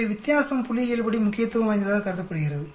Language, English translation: Tamil, So the difference is considered to be statistically significant